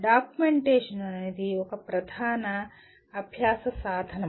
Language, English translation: Telugu, Documentation itself is a/can be a major learning tool